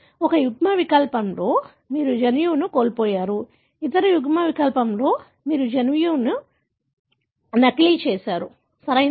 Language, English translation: Telugu, In one allele, you have lost the gene; in the other allele you have duplicated the gene, right